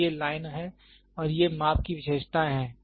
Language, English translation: Hindi, So, these are lined and these are end measurement characteristics